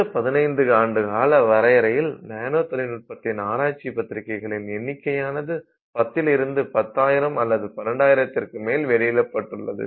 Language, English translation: Tamil, So, in this 15 year time frame we have gone from having a few tens of journal papers in the area of nanotechnology to about 10,000 papers or even more